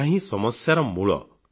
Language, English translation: Odia, It is the root cause of this problem